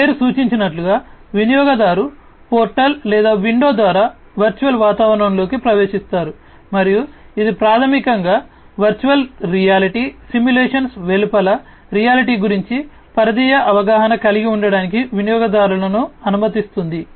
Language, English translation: Telugu, Non immersive, as these name suggests, the user enters into the virtual environment through a portal or, window and this basically allows the users to have a peripheral awareness of the reality outside the virtual reality simulations